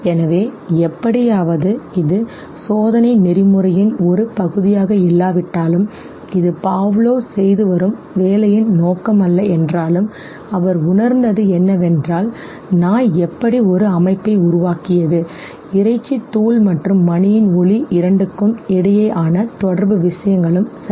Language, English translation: Tamil, So somehow although it was not part of the experimental protocol, although this was not the intention of the work that Pavlov was doing, what he realized was that the dog somehow had formed an association, the association was between the meat powder and the sound of the bell and these two things got associated okay